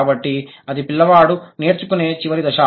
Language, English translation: Telugu, So, that is the final stage that the child acquires